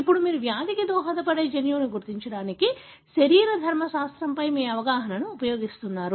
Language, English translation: Telugu, So, now you use your understanding on the physiology to identify the gene that could possibly contribute to the disease